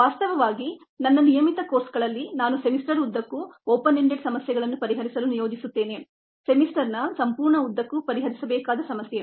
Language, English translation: Kannada, infact, in my regular courses i do assign as long open ended problem solve a problem to be solved over the entire length of the semester